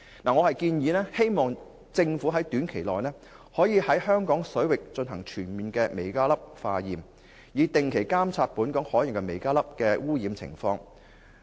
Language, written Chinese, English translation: Cantonese, 我建議政府短期內於香港水域全面化驗微膠粒，以定期監察本港海洋的微膠粒污染情況。, As an interim response I suggest the Government to comprehensively conduct tests for microplastics in Hong Kongs waters in order to regularly monitor microplastic pollution